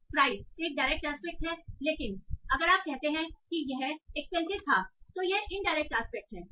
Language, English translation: Hindi, Price is a direct aspect, but if you say it was expensive, it's indirect